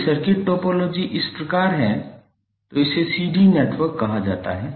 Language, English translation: Hindi, If the circuit topology is like this it is called a ladder network